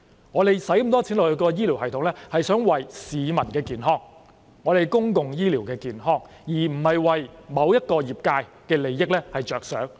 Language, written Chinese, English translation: Cantonese, 我們花那麼多錢在醫療系統上，是為了保障市民健康和完善公共醫療，而不是為了某個業界的利益着想。, In spending such a lot of money on the healthcare system our objective is to protect public health and enhance the public healthcare system not for the interest of a particular sector or industry